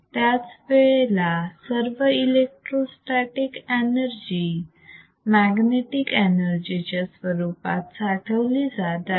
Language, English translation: Marathi, At that instant, all the electrostatic energy is stored as the magnetic energy;